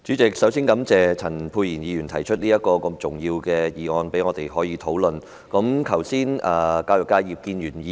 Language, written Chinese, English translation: Cantonese, 主席，我首先感謝陳沛然議員提出一項這麼重要的議案，讓我們可就此進行辯論。, President I would first of all like to thank Dr Pierre CHAN for moving this important motion for us to have a debate on the issue here today